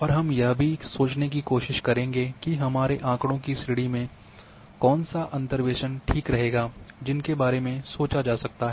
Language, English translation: Hindi, And also we will try to think that which interpolation will suite to my data set that can also be thought on here